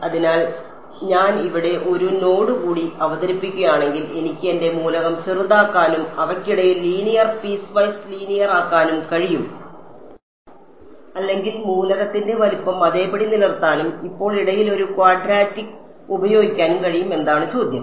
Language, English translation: Malayalam, So, the question is if I introduce one more node over here I can make my element smaller and have linear piecewise linear between them or I can keep the element size the same and now use a quadratic in between